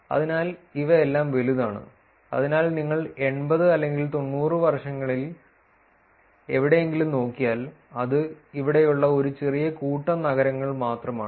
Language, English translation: Malayalam, So, these are all large, so if you look at it somewhere around 80 or 90 years something that is only a small set of cities here